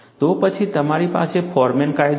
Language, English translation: Gujarati, Then, you have the Forman law